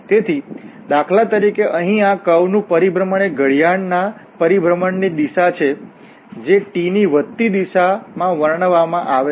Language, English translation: Gujarati, So, for instance here this curve, the orientation is the clockwise orientation, which is described in the increasing direction of t